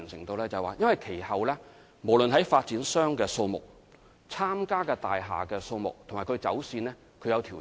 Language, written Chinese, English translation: Cantonese, 原因是其後無論在發展商的數目、參加的大廈數目及走線均有所調整。, The reason is that there were adjustments in the number of developers the number of participating buildings as well as the alignment